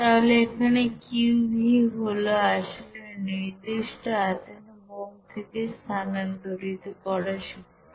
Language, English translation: Bengali, So here Qv is basically the heat that is transferred from the bomb at a constant volume